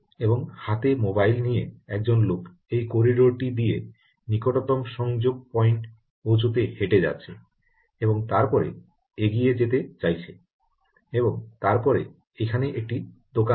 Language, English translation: Bengali, and there is a human with a mobile phone in his hand whose, walking by ah this corridor to reach the nearest, let us say ah, ah, some junction point, and then wants to move on and then there is a shop here